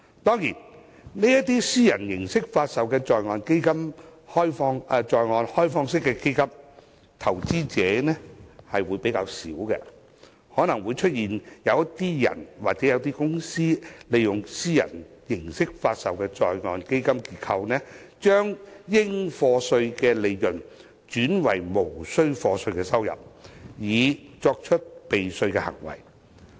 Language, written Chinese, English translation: Cantonese, 當然，這些以私人形式發售的在岸開放式基金的投資者相對較少，可能會出現有個人或公司利用私人形式發售的在岸基金結構，把應課稅的利潤轉為無須課稅的收入，以作出避稅的行為。, Of course these onshore privately offered open - ended funds have been sold to relatively few investors . To avoid tax liability some individuals or corporate investors may convert their taxable profits to non - taxable income via the onshore privately offered fund structure